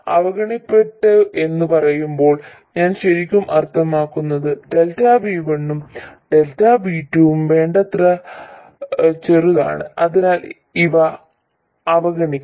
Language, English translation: Malayalam, When I say neglected, what I really mean is delta V1 and delta V2 are small enough so that these can be neglected